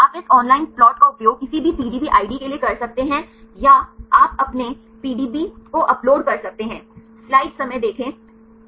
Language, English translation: Hindi, You can use this online plots for any PDB ID or you can upload your PDB you can get the plots ok